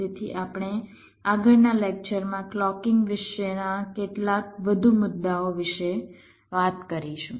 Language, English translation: Gujarati, so we shall be talking about some more issues about clocking in the next lecture as well